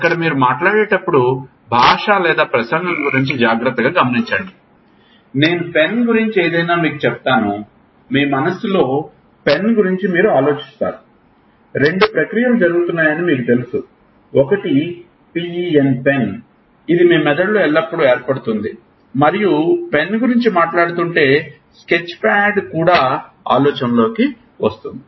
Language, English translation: Telugu, There is, when we talk of language or speech when you are talking observe it carefully, I tell you anything I say pen, you think about the pen in your mind, you know two processes are happening one is P E N, it will always get formed in your brain and if you are speaking pen then there is oral sketchpad